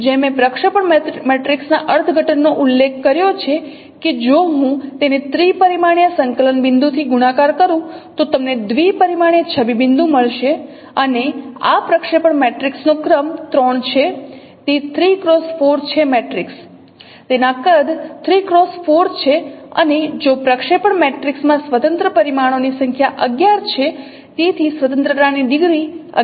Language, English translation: Gujarati, So first thing as I mentioned the interpretation of the projection matrix is that if I multiply it with the three dimensional coordinate point you will get the two dimensional image point and the rank of this position matrix is three it's a three cross four matrix its size is three cross four and the number of independent parameters in the projection matrix is 11